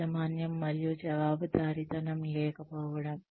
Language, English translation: Telugu, There is lack of ownership and accountability